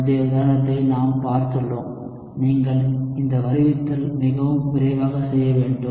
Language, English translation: Tamil, Now that we have seen the earlier example, this derivation must be quite quick for you to do